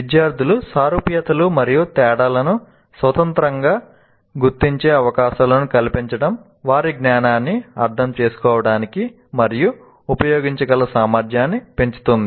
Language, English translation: Telugu, Providing opportunities to students independently identifying similarities and differences enhances their ability to understand and use knowledge